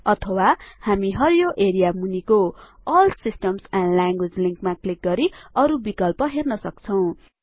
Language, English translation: Nepali, Or we can click on the All Systems and Languages link below the green area for more options